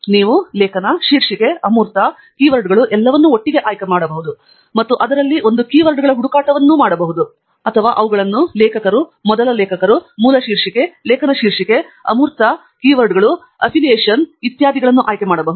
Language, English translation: Kannada, you can actually choose article title, abstract, keywords, all of them together and the search for a set of keywords in that, or you can choose them in author's first: author, source, title, article title, abstract keywords, affiliation, name, etcetera